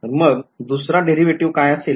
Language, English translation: Marathi, So, what will be the second derivative